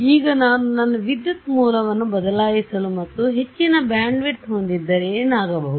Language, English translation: Kannada, Now if I am going to change my current source and make it to have higher bandwidth what will happen